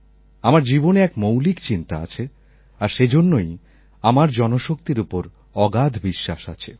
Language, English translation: Bengali, This thought has been fundamental to my thinking and that is why I have immense faith in the power of the people